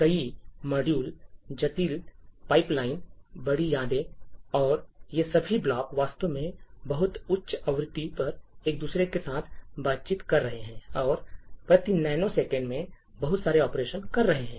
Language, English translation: Hindi, There are multiple modules, a large number of pipelines, large memories and all of these blocks are actually interacting with each other at very high frequency and doing a lot of operations per nano second